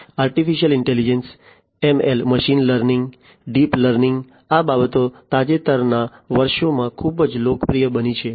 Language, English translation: Gujarati, Artificial Intelligence, ML: Machine Learning, Deep Learning these things have become very popular in the recent years